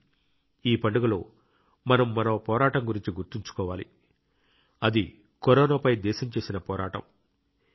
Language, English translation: Telugu, But during this festival we have to remember about one more fight that is the country's fight against Corona